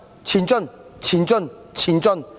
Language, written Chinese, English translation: Cantonese, 前進，前進，前進！, March on! . March on March on!